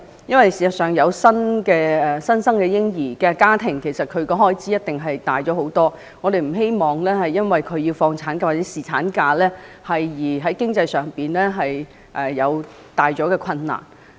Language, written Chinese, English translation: Cantonese, 因為事實上，家庭迎接新生嬰兒，開支一定會大幅增加，我們不希望因為他們放取產假或侍產假，而增加了家庭經濟上的困難。, The fact is the expenses of a family welcoming a new baby would greatly increase . We do not want a household to experience financial difficulties just because they are taking maternity or paternity leave